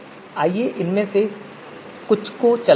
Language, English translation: Hindi, So let us run some of these code